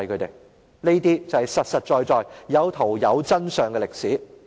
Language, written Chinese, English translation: Cantonese, 這些都是實實在在，有圖有真相的歷史。, These are history supported by pictures and real facts